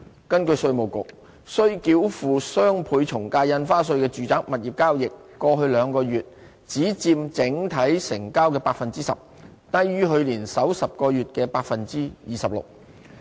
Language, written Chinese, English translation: Cantonese, 根據稅務局，須繳付雙倍從價印花稅的住宅物業交易，過去兩個月只佔整體成交的 10%， 低於去年首10個月的 26%。, The Inland Revenue Departments figures indicated that residential property transactions to which doubled ad valorem stamp duty were applicable accounted only for 10 % of overall transactions over the past two months lower than the proportion of 26 % over the first 10 months last year